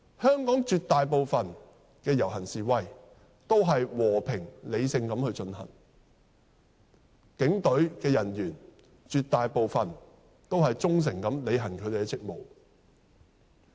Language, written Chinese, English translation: Cantonese, 香港絕大部分的遊行示威均和平理性地進行，警隊人員絕大部分也是忠誠履行職務。, A vast majority of rallies and demonstrations in Hong Kong are conducted peacefully and rationally and a vast majority of policemen carry out their work dutifully and faithfully